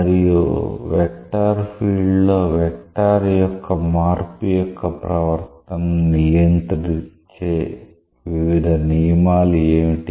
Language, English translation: Telugu, And what are the different rules that govern the behavior of the change of vector in a vector field